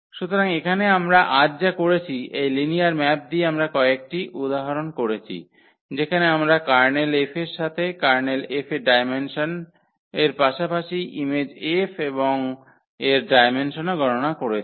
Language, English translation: Bengali, So, here what we have done today, with this from the linear map we have done some examples where we have computed the Kernel F also the dimension of the Kernel F as well as the image F and its dimension